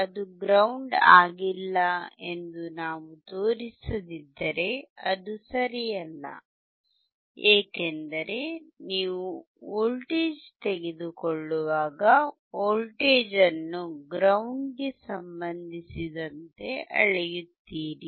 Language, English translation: Kannada, If we do not show that it is not grounded, it is not correct, because when you are taking voltage you are applying voltage and you are measuring voltage is always with respect to ground